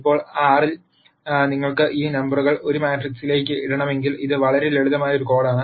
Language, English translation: Malayalam, Now, in R if you want to put this numbers into a matrix, it is a very very simple code